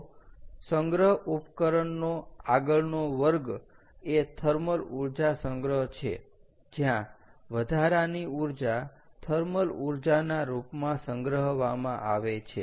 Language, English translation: Gujarati, so the next class of storage device is is thermal energy storage, where the excess energy is stored in the form of thermal energy